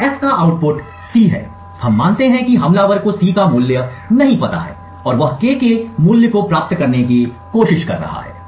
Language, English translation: Hindi, So, the output of F is C, we assume that the attacker does not know the value of C and he is trying to obtain the value of K